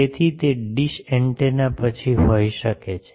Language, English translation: Gujarati, So, those dish antennas then you can have